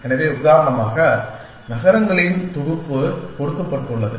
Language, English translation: Tamil, So, for example given a set of cities